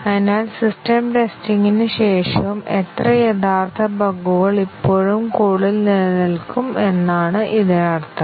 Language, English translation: Malayalam, So, that means, that how many of the original bugs would still remain in the code after system testing